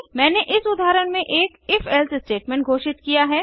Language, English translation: Hindi, I have declared an if statement in this example